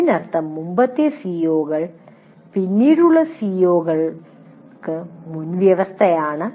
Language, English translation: Malayalam, That means the earlier CBOs are prerequisites to the later COs